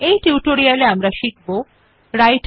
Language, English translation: Bengali, In this tutorial we learn the following